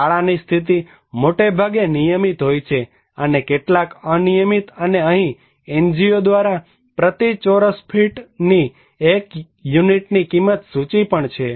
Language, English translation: Gujarati, The status of school mostly regular and some are irregular of course and here is also the list of cost of one unit in Rs is per square feet by NGO okay